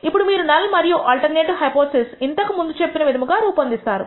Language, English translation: Telugu, Now, you construct the null and alternative hypothesis as we said before